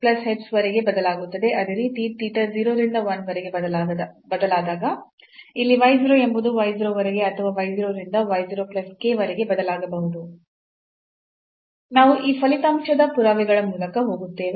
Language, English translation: Kannada, So, this argument here varies from x 0 to x 0 to this x 0 plus h and here also this varies now from y 0 to y 0 plus k when theta varies from 0 to 1